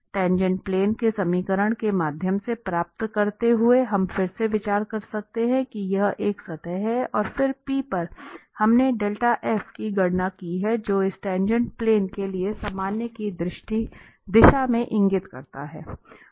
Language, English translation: Hindi, Getting through the equation of the tangent plane we can again consider that this is a surface and then at p we have computed this dell f which points out in the direction of the normal to this tangent plane